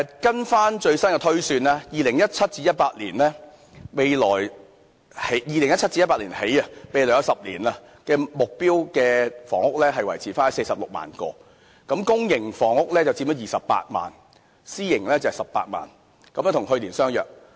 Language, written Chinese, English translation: Cantonese, 根據最新的推算，自 2017-2018 年度起，未來10年的目標房屋數目維持在46萬個，公營房屋佔了28萬個，私營房屋18萬個，與去年相若。, In accordance with the latest estimation since 2017 - 2018 the housing supply target will be maintained at 460 000 units for the coming 10 - year period with 280 000 public housing units and 180 000 private housing units which are similar to the projected numbers last year